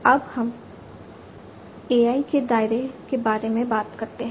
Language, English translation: Hindi, Now, let us talk about the scope of AI